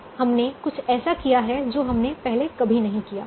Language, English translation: Hindi, now we have done something which we have never done before